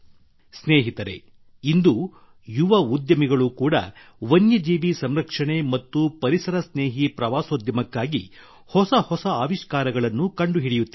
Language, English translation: Kannada, Friends, today young entrepreneurs are also working in new innovations for wildlife conservation and ecotourism